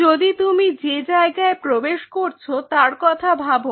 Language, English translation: Bengali, If you think of this zone where you were entering